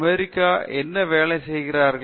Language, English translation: Tamil, What are the Americans working on